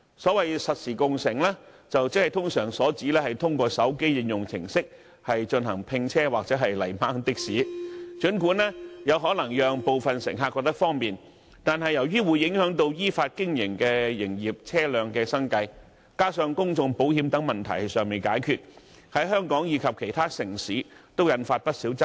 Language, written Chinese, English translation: Cantonese, 所謂實時共乘，通常是指透過手機應用程式進行併車或"泥鯭的士"，儘管可能有部分乘客認為很方便，但由於會影響到依法經營的營業車輛的生計，再加上公眾責任保險等問題尚未解決，在香港及其他地區均引發不少爭議。, Real - time car - sharing generally refers to the act of carpooling or taxi pooling through mobile applications . While some passengers may find such an arrangement convenient it has aroused mush controversy in and outside of Hong Kong given its impacts on the livelihood of commercial vehicle operators doing business in accordance with the law and such unresolved issues as public liability insurance